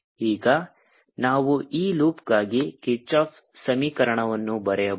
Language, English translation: Kannada, now we can write kirchhoff's equation